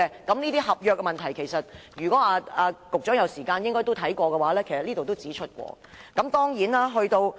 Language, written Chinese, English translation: Cantonese, 這些合約問題，如果局長有時間，可以看看專家小組報告，裏面都有提出。, Regarding these contractual problems if the Secretary has time he can read the Expert Panel report which had mentioned all these points